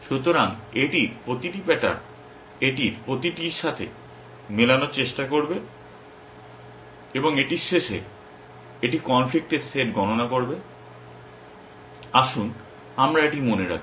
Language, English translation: Bengali, So, each pattern in this it will try to match with each of this and at the end of it, it will compute the conflicts set let us keep this in mind